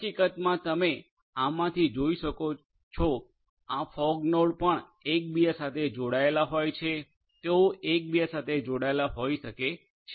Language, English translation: Gujarati, In fact, as you can see from this also these fog nodes may also be interconnected they might be interconnected with one another right